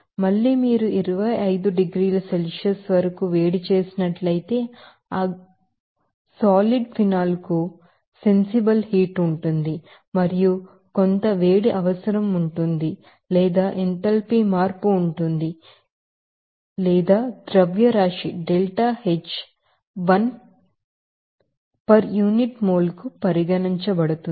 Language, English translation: Telugu, Again if you heated up to 25 degrees Celsius there will be a sensible heat for that solid phenol and there is some heat requirement or enthalpy change will be there that will be regarded as delta H one per unit moles or mass you can say